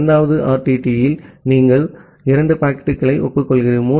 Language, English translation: Tamil, In the 2nd RTT, you are acknowledging 2 packets